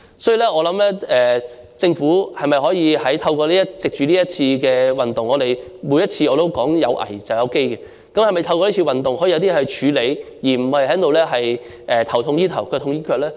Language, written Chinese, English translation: Cantonese, 所以，我認為政府可以藉着這次運動處理一些問題——正如我每次都說"有危便有機"——而不是"頭痛醫頭，腳痛醫腳"呢？, Therefore I think the Government can seize the opportunity of this movement to address some problems―as I said every time where there is a crisis there will also be opportunities―rather than taking stop - gap measures